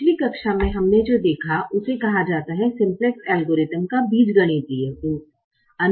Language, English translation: Hindi, what we saw in the previous class is called the algebraic form of the simplex algorithm